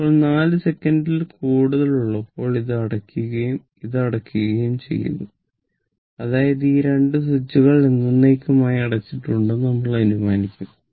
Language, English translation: Malayalam, Now at t greater than 4 second ah this is closed this is closed and this is also closed; that means, we will assume these 2 switches are closed forever right